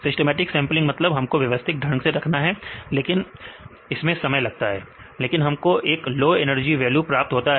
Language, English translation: Hindi, Systematic means we have to do systematically, but takes time right, but we can get 1 low energy value